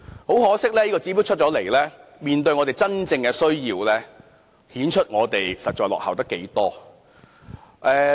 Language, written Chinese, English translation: Cantonese, 很可惜，這個指標出台後，面對大家的真正需要，顯示出我們真的落後了太多。, However it is unfortunate that facing the genuine needs of the public this LTHS shows that we are really lagging far behind